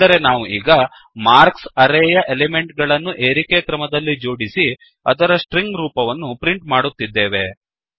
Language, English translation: Kannada, Now we are sorting the elements of the array marks and then printing the string form of it